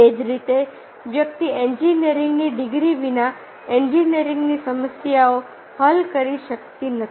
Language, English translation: Gujarati, similarly, the person cannot solve the engineering problem without having a engineering degree